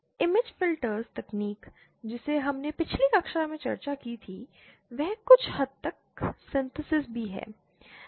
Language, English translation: Hindi, The image filter technique that we are discussed in the previous class they are also to some extent synthesis